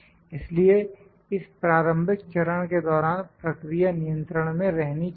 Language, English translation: Hindi, So, during this initial phase the process should be in control